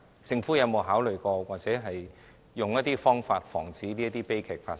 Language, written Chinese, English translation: Cantonese, 政府有沒有考慮，又或設法防止這些悲劇發生？, Has the Government ever considered this? . Has it sought to prevent the occurrence of such tragedies?